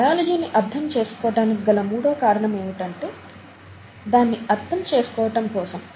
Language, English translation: Telugu, The third reason why we could, we would want to know biology, is because it is there, and needs to be understood